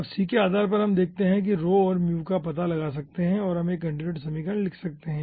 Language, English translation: Hindi, okay, now, depending on the c, you see ah, we can find out the rho and mu and we can write down a continuity equation